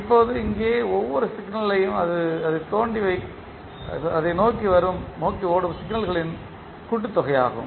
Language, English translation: Tamil, Now each signal here is the sum of signals flowing into it